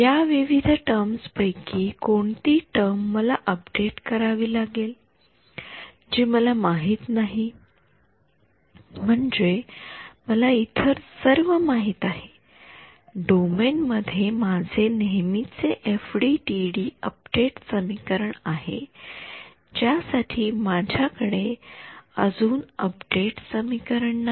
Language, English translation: Marathi, What is the term that I need to update from these various terms which is the term that I really need to update which I do not know I mean everything else I know for every E y inside the domain I have my usual FDTD update equation for what term I do I do not have an update equation so far